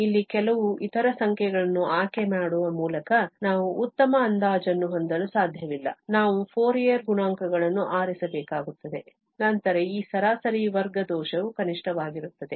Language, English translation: Kannada, We cannot have a better approximation by choosing some other numbers here, we have to choose the Fourier coefficients then only this mean square error is going to be a minimum